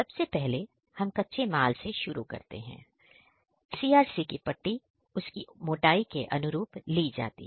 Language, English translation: Hindi, The basic is CRC strip which comes according to the thickness